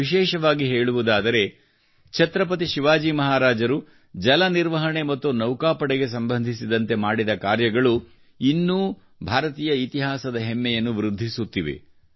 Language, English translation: Kannada, In particular, the work done by Chhatrapati Shivaji Maharaj regarding water management and navy, they raise the glory of Indian history even today